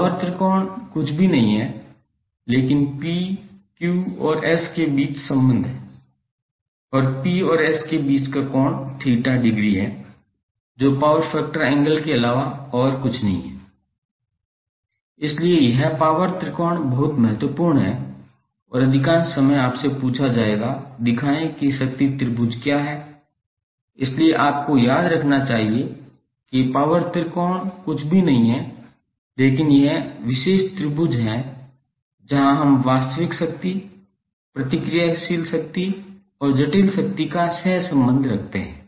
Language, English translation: Hindi, Power triangle is nothing but the relationship between P, Q and S and the angle between P and S is the theta degree which is nothing but the power factor angle, so this power tangle is very important and most of the time you will be asked to show what is the power triangle, so you should remember that the power tangle is nothing but this particular triangle where we co relate real power, reactive power and the complex power